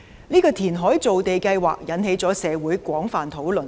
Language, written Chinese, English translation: Cantonese, 這個填海造地計劃引起了社會廣泛討論。, This programme of reclamation and land creation has induced widespread discussions in the community